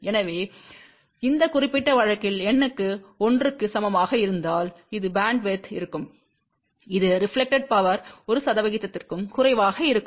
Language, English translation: Tamil, So, you can see that in this particular case for n equal to 1, this will be the bandwidth over which reflected power will be less than 1 percent